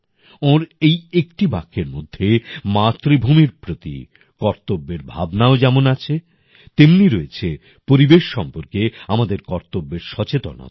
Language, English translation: Bengali, ' There is also a sense of duty for the motherland in this sentence and there is also a feeling of our duty for the environment